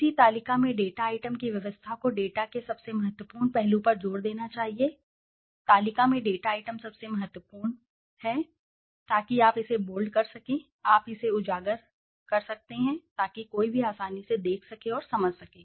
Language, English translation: Hindi, The arrangement of the data items in a table should emphasize the most significant aspect of the data, the data items in a table should emphasize the most significant, so you can bold it, you can highlight it, so that one can easily see that and understand